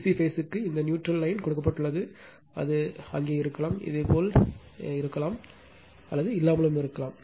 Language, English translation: Tamil, And phase a b c is given this neutral dash line is given, it may be there may not be there you right may be there or may not be there